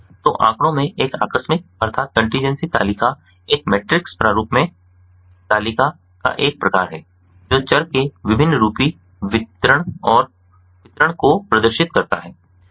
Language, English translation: Hindi, so in statistics a contingency table is a type of table in a matrix format that displays the multivariate frequency distribution of the variables